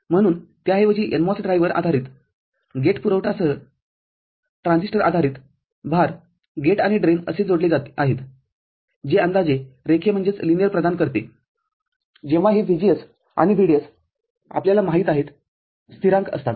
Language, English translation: Marathi, So, instead of that a NMOS driver based NMOS transistor based load with gate source, gate and drain connected in this manner which offers approximately linear when this VGS and VDS are, you know, constant